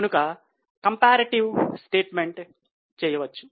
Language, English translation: Telugu, Let us do the calculation of comparative figures